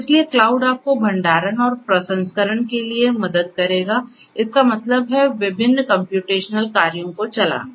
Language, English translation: Hindi, So, cloud will help you for storage and for processing; that means, running different computational jobs